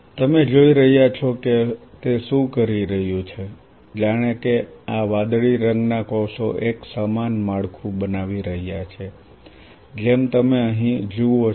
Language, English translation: Gujarati, You are seeing that what it is doing as if these blue color cells are forming a similar structure as a very similar kind of covering as you see here